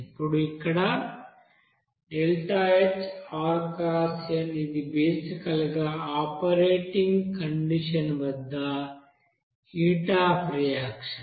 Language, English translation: Telugu, Now here this is basically heat of reaction at operating condition